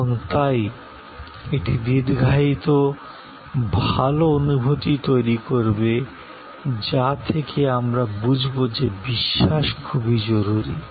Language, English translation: Bengali, And therefore, this creating a lingering good feeling that will lead to believe trust is very import